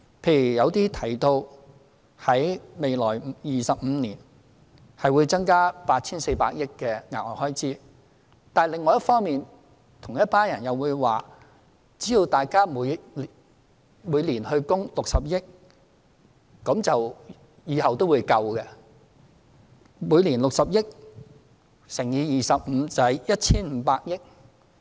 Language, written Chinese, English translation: Cantonese, 例如，有人提到未來25年，企業會增加 8,400 億元的額外開支，但另一方面，同一群人又會說，只要大家每年供款60億元，往後也會足夠支付遣散費及長期服務金。, For instance some people say that in 25 years the additional cost to enterprises will be 840 billion . But on the other hand the same group of people also say that only if there is an annual contribution of 6 billion it will be sufficient to pay the severance payments and long service payments in future